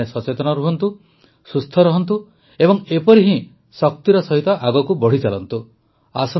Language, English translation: Odia, All of you stay alert, stay healthy and keep moving forward with similar positive energy